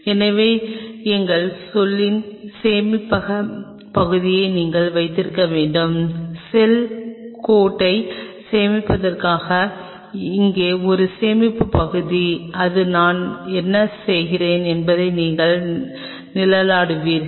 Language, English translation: Tamil, So, you have to have a storage area of our say for example, a storage area out here for storing the cell line this you will be shading what I am doing